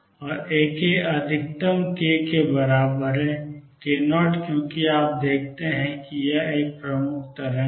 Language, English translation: Hindi, And A k is maximum for k equals k 0 because you see that is a predominant waveform